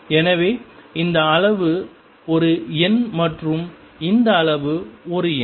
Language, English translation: Tamil, So, this quantity is a number and this quantity is a number